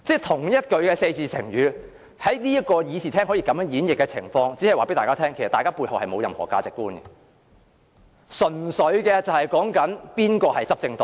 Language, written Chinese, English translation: Cantonese, 同一個四字成語在會議廳內可以如此演繹，這只是告訴大家，大家沒有任何價值觀，純粹視乎誰是執政黨。, The fact that the same expression can be used so differently in the Chamber indicates that Members do not have any values and their decision merely hinges on which party holds the reins